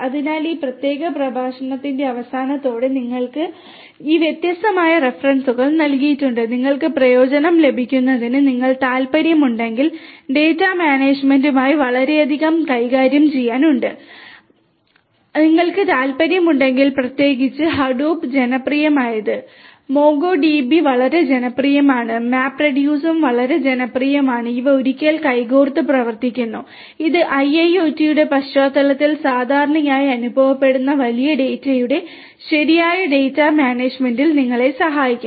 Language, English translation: Malayalam, So, with this we come to an end of this particular lecture we have this different difference is given to you, for you to benefit from and if you are interested you know there is a lot to do with data management and if you are interested particularly Hadoop is very popular, MongoDB is very popular, MapReduce is also very popular, these are once which work hand in hand and this can help you in proper data management of big data that is being that is experience typically in the context of in the context of in the context of IIoT